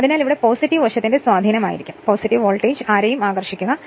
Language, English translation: Malayalam, So, this will be positive side induced and this will be the your positive voltage will induced and this side is negative right